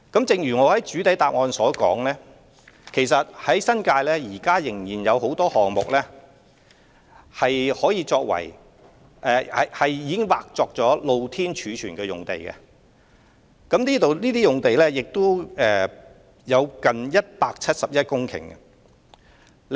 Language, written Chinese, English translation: Cantonese, 正如我在主體答覆中指出，新界現時仍有很多項目已劃出土地作"露天貯物"用途，這些用地有接近171公頃之多。, As I have pointed out in the main reply land has currently been reserved for Open Storage in many development projects in the New Territories and these sites cover an area as large as 171 hectares